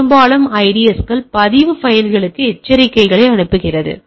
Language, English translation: Tamil, Most IDSes are send alerts to the log files regularly